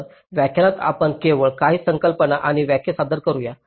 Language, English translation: Marathi, so in this lecture just let us introduce, ah, just ah, few concepts and definitions